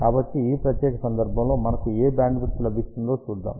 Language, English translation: Telugu, So, let us see what bandwidth we have got in this particular case